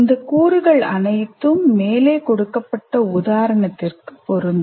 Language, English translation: Tamil, All these elements apply to the example that I have given